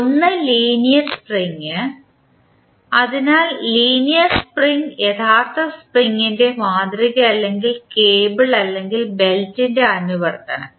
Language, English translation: Malayalam, One is linear spring, so linear spring is the model of actual spring or a compliance of cable or belt